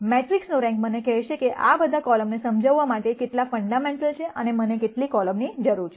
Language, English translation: Gujarati, The rank of the matrix will tell me, how many are fundamental to explaining all of these columns, and how many columns do I need